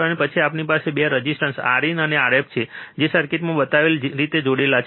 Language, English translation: Gujarati, And then we have 2 resistors R in and R f connected in the same way shown in circuit